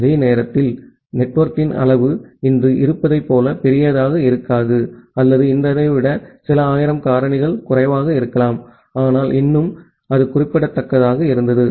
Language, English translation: Tamil, And during that time, the size of the network was may not be as large as it is today or maybe some thousand factors lesser than today, but still it was significant